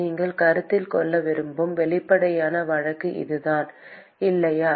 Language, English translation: Tamil, That is the obvious case that you would want to consider, right